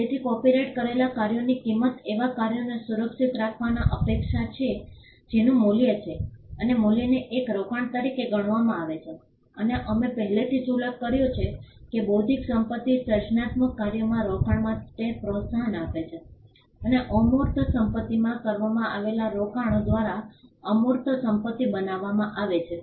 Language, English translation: Gujarati, So, copyrighted works are expected to protect works that have value and the value is regarded as an investment and we had already mentioned that a intellectual property gives incentives for investing into the creative works and intangibles are created by investments made in intangible assets